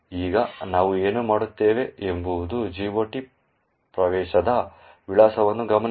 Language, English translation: Kannada, Now, what we will do is note down the address of the GOT entry